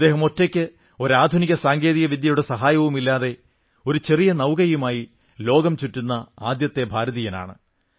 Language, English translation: Malayalam, He was the first Indian who set on a global voyage in a small boat without any modern technology